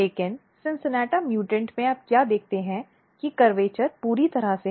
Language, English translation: Hindi, But in CINCINNATA mutants what you see that the curvature is totally disturbed in this mutant background